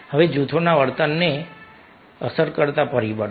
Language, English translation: Gujarati, now further ah, factors affecting group behavior